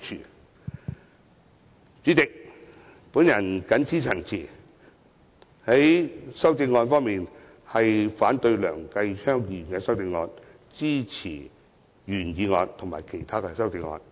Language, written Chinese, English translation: Cantonese, 代理主席，我謹此陳辭，反對梁繼昌議員的修正案，並支持原議案及其他修正案。, With these remarks Deputy President I oppose Mr Kenneth LEUNGs amendment and support the original motion as well as the other amendments